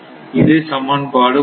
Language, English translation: Tamil, So, total is 1